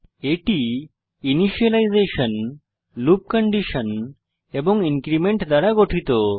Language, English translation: Bengali, It consisits of initialization, loop condition and increment